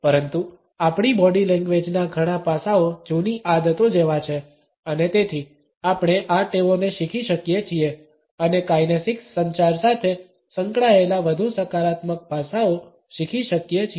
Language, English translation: Gujarati, But, several aspects of our body language are like old habits and therefore, we can unlearn these habits and learn more positive aspects associated with the kinesics communication